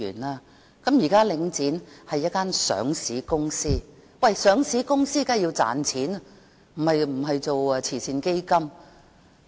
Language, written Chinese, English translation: Cantonese, 現時，領展是一間上市公司，上市公司當然要賺錢，而不是做慈善基金。, Now Link REIT is a listed company . A listed company certainly needs to make money rather than operating as a charitable fund